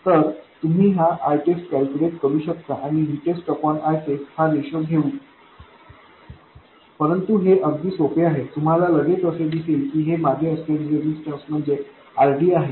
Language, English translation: Marathi, So you can calculate this I test and take the ratio V test by I test but it is very easy, you will immediately see that the resistance looking back would be r d, r out equals r d